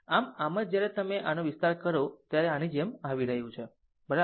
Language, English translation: Gujarati, So, that is why this when you expand this it is coming like this, right